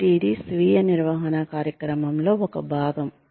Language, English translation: Telugu, So, this is, one part of the self management program